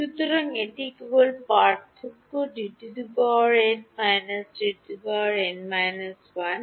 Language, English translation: Bengali, So, it is just the difference D n minus D n minus 1